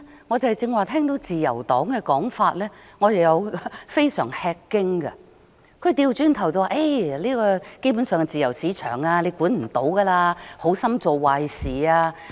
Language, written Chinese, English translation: Cantonese, 我對自由黨議員剛才的說法感到非常吃驚，他們反而認為，基本上，這是自由市場，無法規管，否則只會好心做壞事。, I was astounded by the remarks made by Members of the Liberal Party just now . They on the contrary hold that basically this is a free market which cannot be regulated . Otherwise it will only be doing a disservice out of the good intention